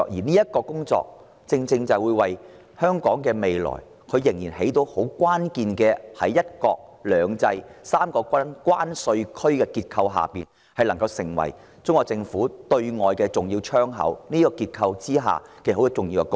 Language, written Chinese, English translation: Cantonese, 落實普選對我們的未來至為關鍵，讓香港在"一個國家、兩種制度、三個關稅區"的結構下得以擔當中國對外的重要"窗口"，作出重要貢獻。, As the key to our future implementing universal suffrage will allow Hong Kong to play the role of Chinas important window to the outside world under the structure of one country two systems three separate customs territories and make significant contribution